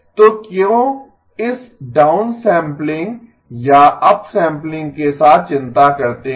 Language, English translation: Hindi, So why worry with this downsampling or upsampling